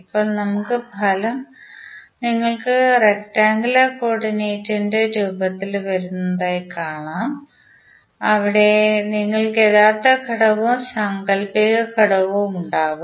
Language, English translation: Malayalam, Now, here you can see that the result would come in the form of rectangular coordinate where you will have real component as well as imaginary component